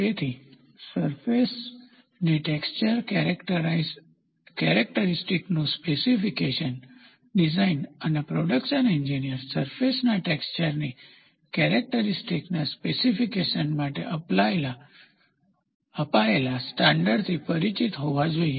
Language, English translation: Gujarati, So, specification of surface texture characteristics, design and production engineers should be familiar with the standards adopted for specification of the characteristics of a surface texture